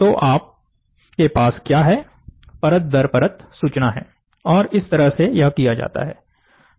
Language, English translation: Hindi, So, now, what you have is, layer by, layer by, layer information you have, and that is how it is done